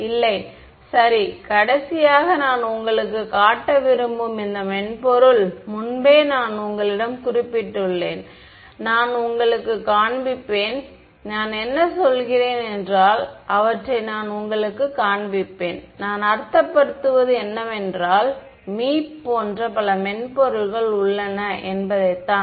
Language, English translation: Tamil, No ok so, the last thing that I want to show you is this software which I have mentioned to you previously, I will show you so, they have I mean I will show you the reason is I mean like Meep there are many many softwares